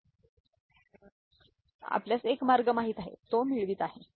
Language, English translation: Marathi, So, this is one way of you know, getting it